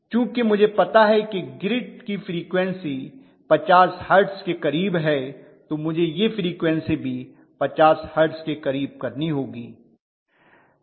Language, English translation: Hindi, So I know also that the frequency is going to be really close to 50 hertz because I am going to have the grid frequency close to 50 hertz, I want this frequency also close to 50 hertz